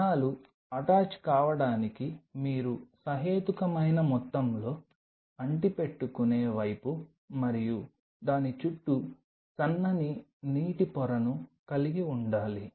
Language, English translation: Telugu, For the cells to attach you have to have reasonable amount of adhering side and a thin film of water around it